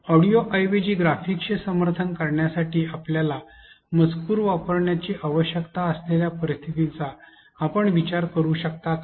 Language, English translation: Marathi, Can you think of situations where you would need to use on screen text to support graphics instead of an audio